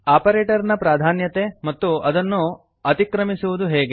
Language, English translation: Kannada, operator precedence, and, How to override it